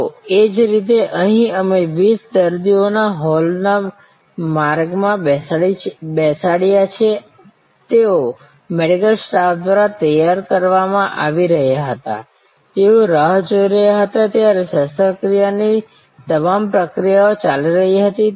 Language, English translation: Gujarati, So, similarly here we had 20 patients seated in the hall way, they were getting prepared by the medical staff, all the pre operative procedures were going on while they were waiting